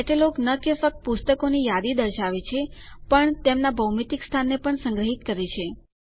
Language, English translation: Gujarati, A catalogue not only lists the books, but also stores their physical location